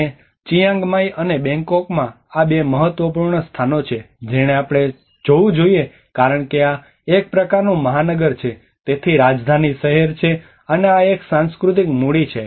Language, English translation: Gujarati, And in Chiang Mai and Bangkok these are the two important places one has to look at it because this is more of a kind of metropolitan, so capital city and this is more of a cultural capital